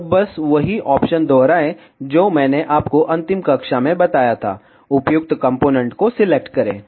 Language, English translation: Hindi, And just repeat the same options that I told you in the last class, select the appropriate component